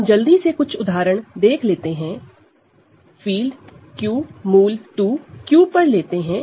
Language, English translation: Hindi, So, a couple of quick examples, you take the field Q adjoined root 2 over Q ok